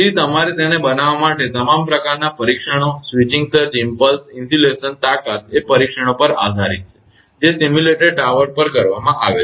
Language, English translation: Gujarati, So, all sort of tests you have to make it right switching surge impulse insulation strength is based on tests that have been made on simulated tower